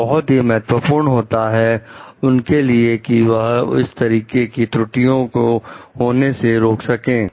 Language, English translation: Hindi, It is very important for them to check those errors from occurring